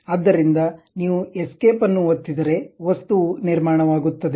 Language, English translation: Kannada, So, if you are pressing escape, the object has been constructed